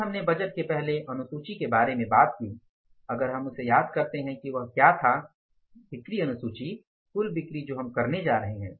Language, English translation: Hindi, Then we talked about the first schedule of the budgeting if you recall what was that sales schedule, total sales we are going to make